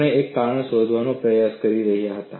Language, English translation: Gujarati, We were trying to find out a reason